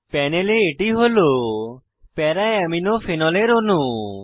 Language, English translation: Bengali, This is a molecule of Para Amino Phenol on the panel